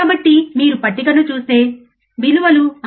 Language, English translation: Telugu, So, if you see the table, your values are 6